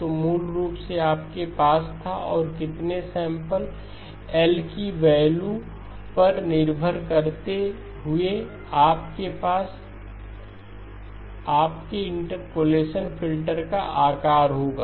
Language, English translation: Hindi, So basically you had, and depending upon how many samples, the value of L, you will have the size of your interpolation filter